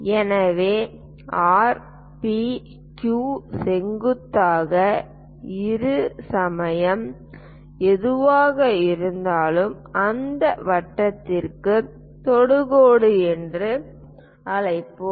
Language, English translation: Tamil, So, R, P, Q whatever the perpendicular bisector, that we will call as tangent to that circle